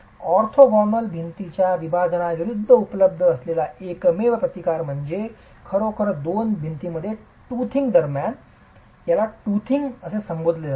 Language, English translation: Marathi, The only resistance that is available against the separation of orthogonal walls is really what is referred to as the tothing between the two things between the two walls